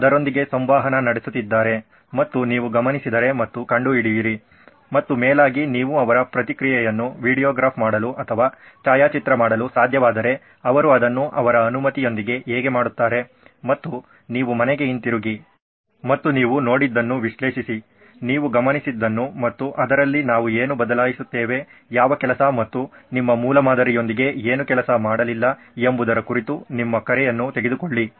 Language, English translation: Kannada, If they would interact with that and then you observe and find out and preferably if you can even videograph or photograph their reactions how they do it with their permission of course and you come back home and analyze what you have seen, what you have observed and then take your call on what do we change in this, what work and what did not work with your prototype That is probably better ideal to in terms of prototyping and your field work